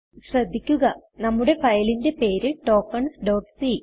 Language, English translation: Malayalam, Note that our file name is Tokens .c